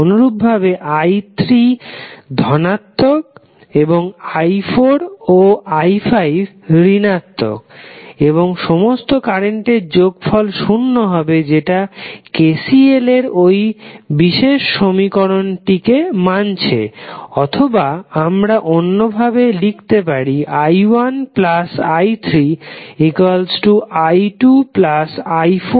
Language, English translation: Bengali, Similarly, i3 ¬is positive and i¬4 ¬¬and i¬5¬ are negative and the sum of all the currents would be equal to 0 which is satisfying the particular equation of KCL or alternatively you can write that i¬1 ¬plus i¬3 ¬is equal to i¬¬¬2¬ plus i¬¬4 ¬plus i¬5¬